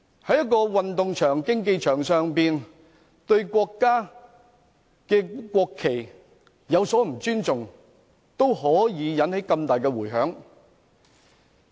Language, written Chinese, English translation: Cantonese, 在運動場、競技場上對國家的國旗有所不尊重，已可以引起這麼大的迴響。, The disrespect for the national flag of the country on the sports ground or arena can already arouse such strong repercussions